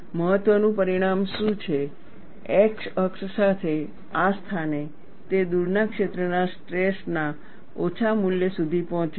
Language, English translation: Gujarati, What is the important result is, along the x axis, at this place, it reaches the value of minus of the far field stress